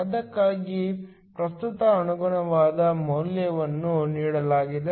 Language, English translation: Kannada, The corresponding value of current for that is given